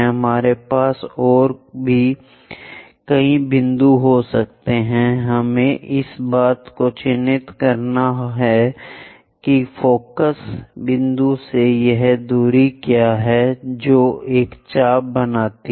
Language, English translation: Hindi, We can have many more points, only thing is from this point we have to mark what is this distance from focus point make an arc